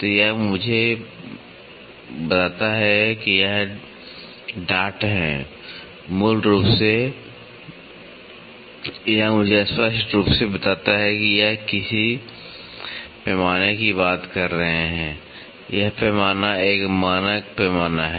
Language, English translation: Hindi, So, this tells me these are taps basically this clearly tells me that these are referring to some scale and this scale is a standard scale